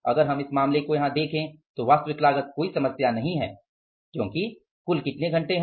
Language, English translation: Hindi, If you look at the case here, actual cost is not a problem because how many